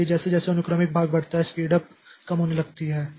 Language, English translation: Hindi, So as the sequential portion increases, this speed up starts decreasing